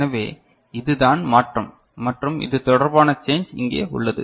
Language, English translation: Tamil, So, this is the change and this is the corresponding change is over here